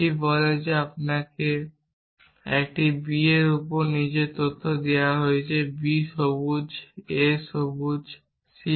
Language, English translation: Bengali, It says that you are given the following facts on a b on b c green a, not green c